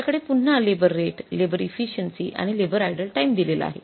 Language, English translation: Marathi, So, we have again labour rate, labour efficiency and labour idle time